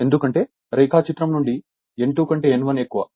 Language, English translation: Telugu, Because N 1 greater than N 2 from the diagram